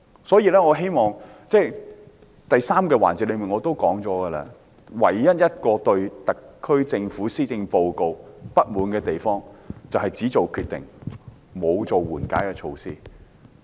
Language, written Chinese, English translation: Cantonese, 所以，我在第三個辯論環節也說過，我對特區政府施政報告唯一不滿的地方，便是只作決定，沒有推出緩解措施。, Thus I said in the third debate session that my sole dissatisfaction with the Policy Address of the SAR Government was that the Government merely made decisions without implementing mitigation measures